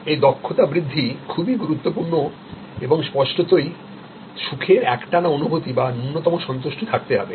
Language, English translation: Bengali, So, this competency build up is important and; obviously, there has to be a continuing sense of happiness or minimum level of satisfaction